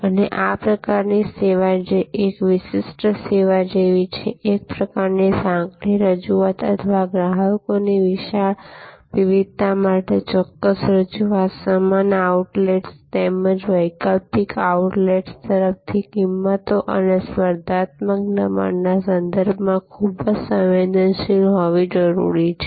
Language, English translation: Gujarati, And this sort of service, which is more like a niche service, a kind of a narrow offering or specific offering for a large variety of customers, needs to be quite sensitive with respect to pricing and competitive pressures from similar outlets as well as alternative outlets, alternative food and beverage outlets